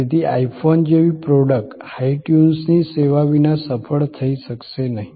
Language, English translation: Gujarati, So, the product like an I phone cannot be the successful without the service of hi tunes